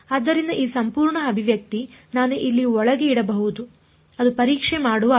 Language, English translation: Kannada, So, this whole expression I can put inside over here that is the meaning of doing testing